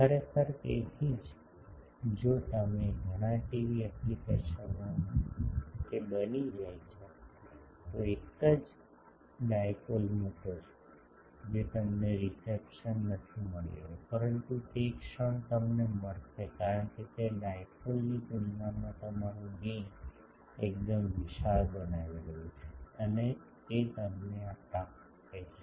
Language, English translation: Gujarati, Actually, that is why if you in many TV applications it becomes that, you put a single dipole you are not getting the reception, but the moment you get, because it is making your gain quite large compared to a dipole and that gives you this